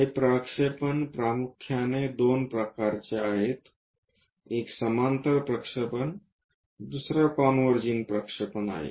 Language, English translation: Marathi, This projections are mainly two types, one our parallel projections other one is converging projections